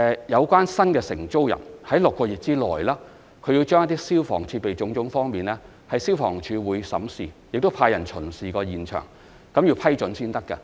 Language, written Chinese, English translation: Cantonese, 有關的新承租人須在6個月內，就消防設備等方面，獲得消防處經審視及派人巡視現場後的批准才可以。, New tenants concerned are required to obtain approval for such aspects as fire services equipment from the Fire Services Department after its examination and on - site inspections within six months